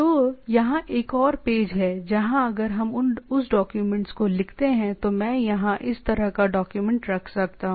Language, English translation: Hindi, So, here is another page where the if we write that document I can have this sort of a document here